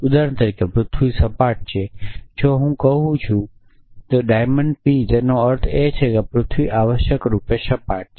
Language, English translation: Gujarati, For example, the earth is flat if I say diamond p it means is possible that the earth is flat essentially